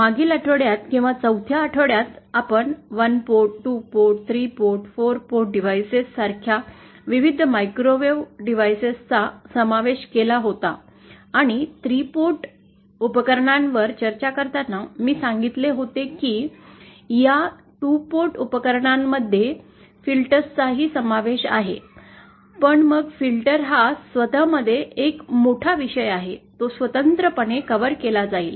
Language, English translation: Marathi, In the previous weeks or in the week for, we had covered the various microwave devices like the 1 port, 2 port, 3 port and 4 port devices and while discussing 3 port devices, I had mentioned that these 2 port devices also include filters but then filters themselves are a huge topic in themselves, will cover it separately